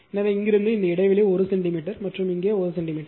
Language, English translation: Tamil, So, from here to here this gap is 1 centimeter right and here also 1 centimeter